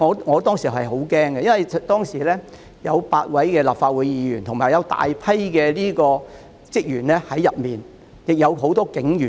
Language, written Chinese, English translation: Cantonese, 我當時十分害怕，因為大樓內有8位立法會議員和大量職員，也有很多警員。, I was scared stiff at that time for there were eight Members and many staff members as well as a lot of police officers inside the Legislative Council Complex